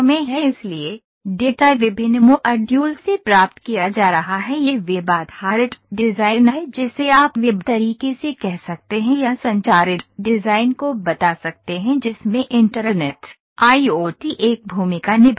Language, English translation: Hindi, So, data is being received from different modules it is web based design you can say web way or tell communicated design in which internet of things, IOT, internet of thing is playing a part